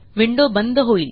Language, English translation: Marathi, The window disappears